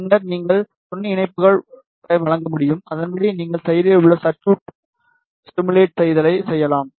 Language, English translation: Tamil, Then you can provide the supporting connections, and accordingly you can do the active circuit simulations